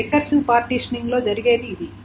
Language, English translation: Telugu, That is what the recursive partitioning does